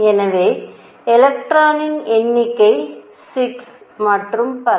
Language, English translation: Tamil, So, number of electrons 6 and so on